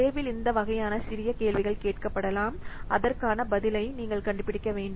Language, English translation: Tamil, So in the examination, some these types of small questions might be asked and you have to find out the answer